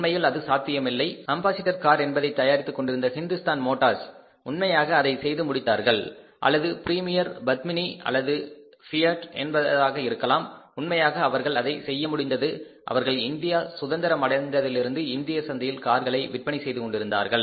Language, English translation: Tamil, Here Hindustan motors who were manufacturing ambassador car they would have really done it or the Premier Padmania or maybe that fiat they could have really done it who were selling the cars in Indian market since independence